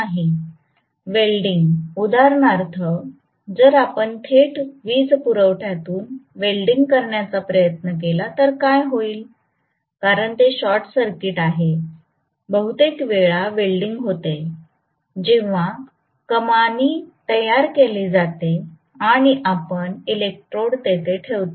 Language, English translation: Marathi, Welding, for example, if you try to weld directly from the power supply, what will happen is, because it is a short circuit, most the times welding happens when there is an arch struck and you are going to put the electrode right there